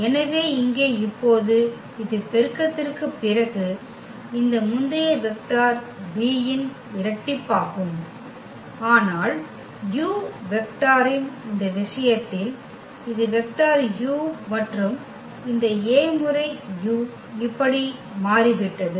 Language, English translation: Tamil, So, here now it is just the double of this earlier vector v after the multiplication, but in this case of this u vector this was the vector u and this A times u has become this one